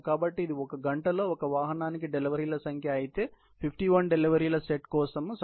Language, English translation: Telugu, So, if this were the number of deliveries per one vehicle in one hour, for set of 51 deliveries needed, typically, 51 by 8